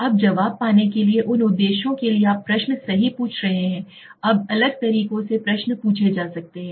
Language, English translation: Hindi, Now to get the answer to these objectives you are asking the questions right, so now the questions could be asked in different way